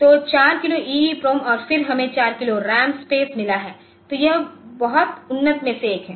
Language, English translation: Hindi, So, 4 kilo EEPROM and then we have got 4 0 as a 4 kilo of RAM space